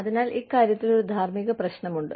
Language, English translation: Malayalam, So again, there is an ethical issue, regarding this